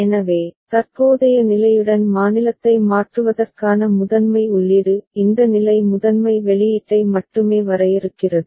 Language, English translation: Tamil, So, primary input for changing the state together with the current state; and this state only defining the primary output